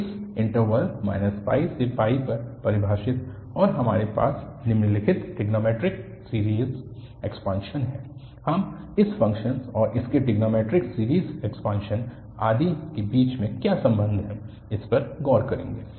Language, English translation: Hindi, So, define on this interval minus pi to pi and has the following trigonometric series expansion, we will look into that what is the relation between this function and its trigonometric series expansion etcetera